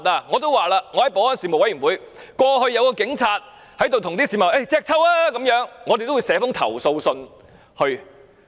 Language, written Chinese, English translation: Cantonese, 我在保安事務委員會也說過，曾有警員叫市民"隻揪"，我們會代市民寫投訴信。, I also mentioned at a meeting of the Panel on Security that some police officers once challenged members of the public to a one - on - one fight and we would write complaint letters for members of the public